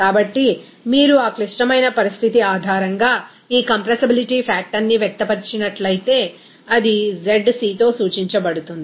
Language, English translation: Telugu, So, if you express this compressibility factor based on that critical condition, it will be denoted by zc